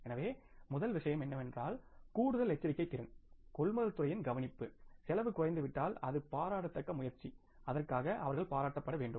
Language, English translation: Tamil, So, if the first thing is there that because of the extra caution efficiency care of the purchase department if the cost has come down, it is a laudable effort and they should be appreciated for that